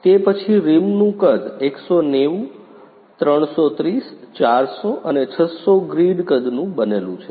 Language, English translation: Gujarati, After that rim size is made of 190, 330, 400 and 600 grid size